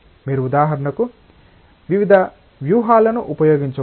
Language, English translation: Telugu, You can for example, employ various strategies